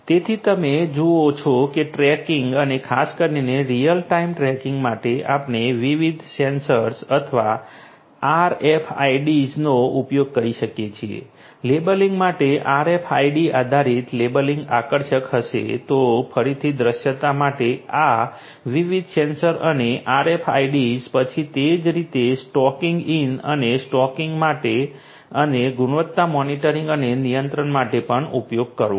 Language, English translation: Gujarati, So, you see that for tracking and particularly real time tracking we can use different sensors or RFIDs we could use those different devices, for labeling you know RFIDs, RFID based labeling would be attractive then for visibility again this sensors different sensors and even the RFIDs could also be used